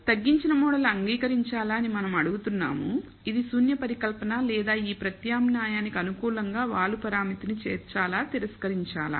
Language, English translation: Telugu, So, we are asking whether the reduced model should be accepted which is the null hypothesis or should be rejected in favour of this alternate which is to include the slope parameter